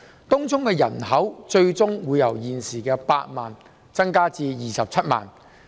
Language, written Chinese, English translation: Cantonese, 東涌的人口最終會由現時8萬增至27萬。, The population of Tung Chung will ultimately be increased from 80 000 at present to 270 000